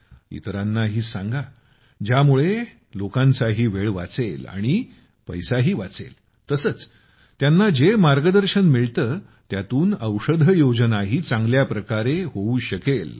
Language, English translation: Marathi, Tell others too so that their time is saved… money too is saved and through whatever guidance they get, medicines can also be used in a better way